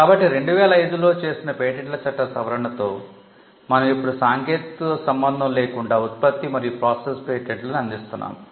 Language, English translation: Telugu, So, with the amendment of the patents act in 2005, we now offer product and process patents irrespective of the technology